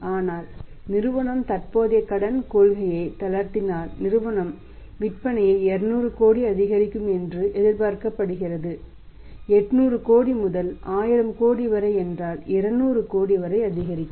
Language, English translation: Tamil, But if company will relaxes the credit policy there will be 3 ways first effect will be that sales will increase by 200 crore’s it will become 1000 crore and go up from 800 crore to 1000 crore increased by 200 crore